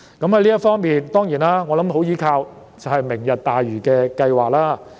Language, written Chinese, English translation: Cantonese, 我相信這方面十分依賴"明日大嶼"計劃。, I believe this depends very much on the project of Lantau Tomorrow